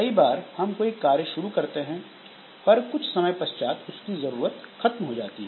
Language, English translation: Hindi, Many a time like we start a task but that task is no more required